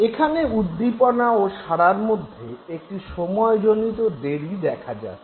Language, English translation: Bengali, Now there is a temporal delay between the stimulus and the response